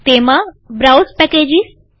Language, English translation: Gujarati, In that, browse packages